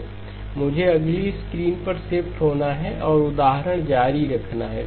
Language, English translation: Hindi, I have to shift over to the next screen and continue the example